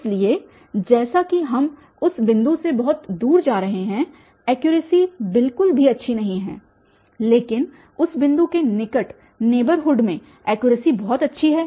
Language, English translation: Hindi, So, as we are going far away from that point the accuracy is not at all good but in the close neighborhood of that point the accuracy is very good